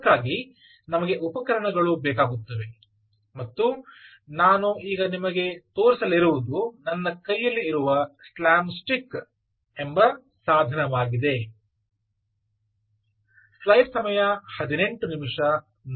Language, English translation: Kannada, for that we need tools, and what i am going to show you now is a tool called slapstick